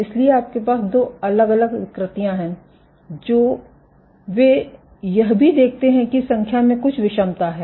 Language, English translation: Hindi, So, you have two different deformations what they also observe that given that there was some heterogeneity in the population